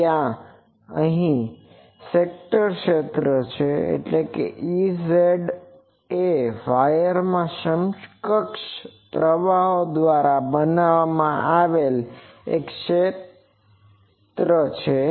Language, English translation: Gujarati, There is a scattered field, so the thing is E z is a scattered field created by the equivalent currents in the wire